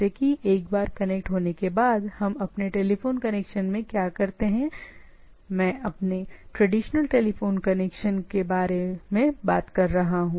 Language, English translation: Hindi, So, once connected it is the communication goes on in a transparent mode, like what we do in our telephone connection once it is connected, I am talking about our traditional telephone connections